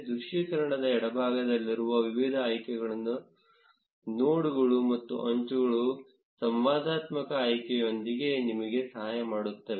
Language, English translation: Kannada, Various options on the left of the visualization help you with interactive selection of nodes and edges